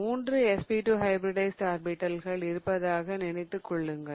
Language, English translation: Tamil, So, you can imagine that now there are 3 SP2 hybridized orbitals